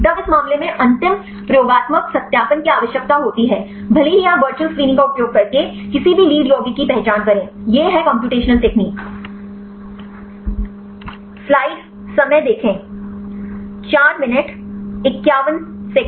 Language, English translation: Hindi, Then in case final experimental validation is required even if you identify any lead compounds using virtual screening; the computational technique